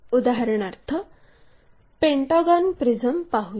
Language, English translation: Marathi, For example let us consider pentagonal prism